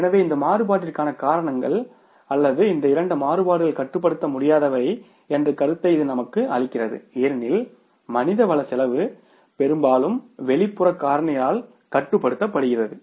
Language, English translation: Tamil, So, this gives us an idea that largely the reasons for this variance or these two variances are uncontrollable because human resource cost is largely controlled by the external factor and those external factors are labour market